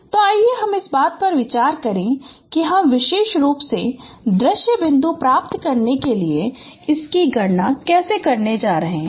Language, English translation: Hindi, So we will discuss the solution so let us consider how we are going to compute this particular to get the same point